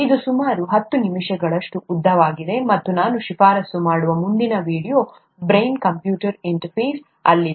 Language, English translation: Kannada, This is about ten minutes long, and the next video that I would recommend is on a brain computer interface